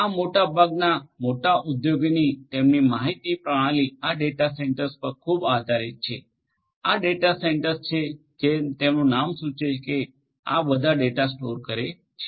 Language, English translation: Gujarati, Most of these large scale enterprises their information systems are highly dependent on these data centres, it is these data centres as this name suggests which stores all this data